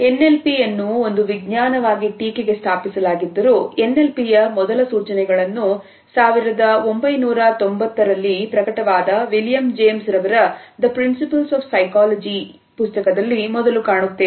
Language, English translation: Kannada, Though NLP as a science has been established relatively recently, we find that the first indications of NLP are found in William James treatise Principles of Psychology which was published in 1890